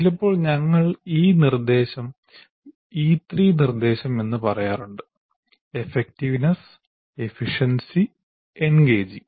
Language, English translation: Malayalam, So sometimes we call this instruction should be E3, E3 instruction, effectiveness, efficiency and engaging